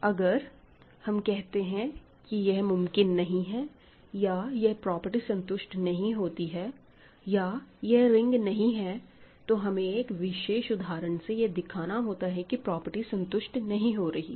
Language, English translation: Hindi, So, if you say that something does not happen or some property is not satisfied or something is not a ring, you have to give an example to show that the property fails in that particular example